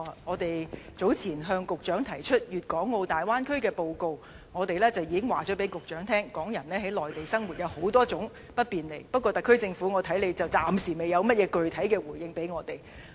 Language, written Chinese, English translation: Cantonese, 我們早前向局長提出粵港澳大灣區的報告，當中已經向局長提出港人於內地生活有諸多不便，但我估計特區政府暫時不能有甚麼具體回應。, In the report on the Guangdong - Hong Kong - Macao Bay Area submitted to the Secretary earlier we have already reminded the Secretary about the inconvenience bothering Hong Kong people living in the Mainland . Nevertheless I do not expect the SAR Government to give any concrete responses by now